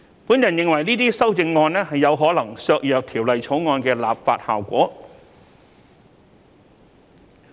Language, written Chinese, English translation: Cantonese, 我認為這些修正案有可能削弱《條例草案》的立法效果。, I think these amendments may weaken the legislative effect of the Bill